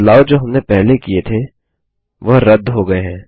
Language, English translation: Hindi, The changes we did last have been undone